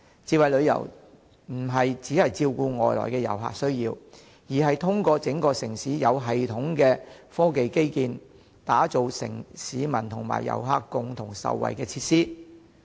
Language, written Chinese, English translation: Cantonese, 智慧旅遊不單照顧外來遊客的需要，更是在整個城市實施有系統的科技基建，以及提供市民和遊客共同受惠的設施。, Smart travel not only entails catering for the needs of foreign tourists but also means implementing systematic technological infrastructure throughout the city as well as providing facilities that benefit both locals and tourists